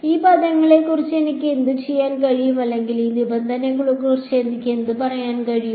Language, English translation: Malayalam, What can I do about these term or what can I say about these terms